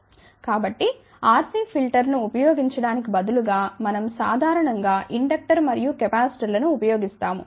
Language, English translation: Telugu, So, instead of using RC filter we in general use inductors and capacitor